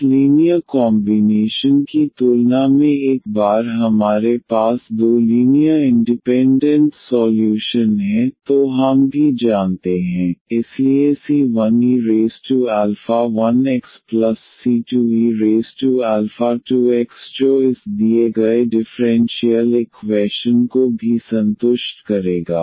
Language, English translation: Hindi, What we also know once we have two linearly independent solutions than this linear combinations, so alpha 1 e power also c 1 e power alpha 1 x and plus the another constant times e power alpha 2 x that will also satisfy this given differential equation